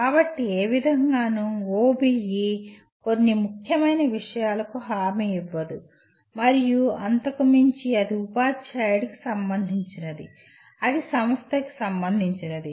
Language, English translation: Telugu, So in no way OBE, OBE guarantees some essential things and above that it is up to the teacher, it is up to the institution, it is up to the students to explore beyond that